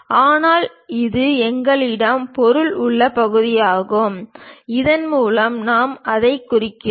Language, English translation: Tamil, But this is the portion where we have material, that material what we are representing by this